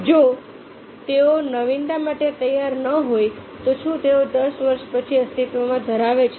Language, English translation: Gujarati, so if there not willing to go for innovation, will they exist of to ten years